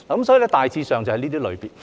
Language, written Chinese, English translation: Cantonese, 所以，大致上就是這些類別。, All in all basically these are the categories